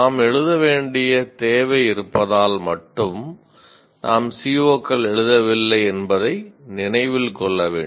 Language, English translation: Tamil, That is, we are, one should remember that we are not writing COs merely because we are required to write